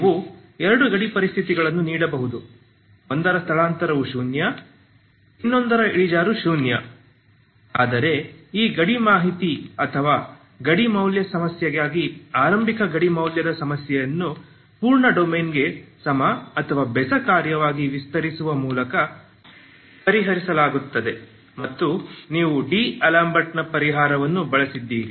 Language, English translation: Kannada, So you can give have given two boundary conditions one is the displacement is zero, other one is the slope is zero but these boundary data or boundary value problem initial boundary value problem is solved just by extending into extending as even or odd function to the full domain and you make use of D'Alembert's solution that is what you have seen